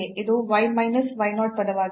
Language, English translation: Kannada, 1 and y minus 1 is less than 0